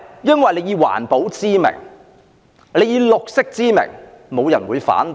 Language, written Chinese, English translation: Cantonese, 因為政府以環保、綠色為名，沒有人會反對。, Why? . Because no one will voice opposition if the Government acts in the name of environmental protection and green